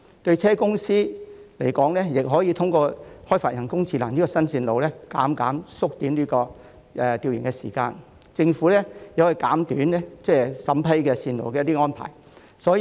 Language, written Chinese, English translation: Cantonese, 汽車公司亦可以透過人工智能開發新路線，大大縮短調研時間，亦有助政府減短審批路線的時間。, Automobile companies can also use artificial intelligence to develop new routes which will greatly shorten research time and help the Government reduce the time required for approval of routes